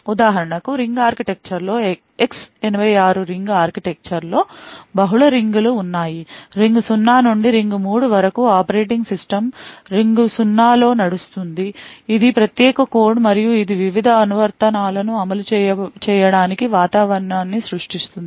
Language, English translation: Telugu, In the ring architecture for example X86 ring architecture, there are multiple rings, ring 0 to ring 3, the operating system runs in the ring 0 which is the privileged code and it creates an environment for various applications to run